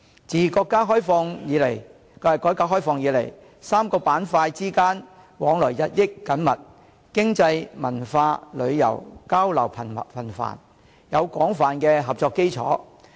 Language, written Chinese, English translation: Cantonese, 自國家改革開放以來 ，3 個板塊之間往來日益緊密，經濟、文化、旅遊交流頻繁，有廣泛的合作基礎。, Since the opening up of our country the three places have increasingly frequent economic interactions cultural exchanges and contacts by travel . They already have an extensive cooperative foundation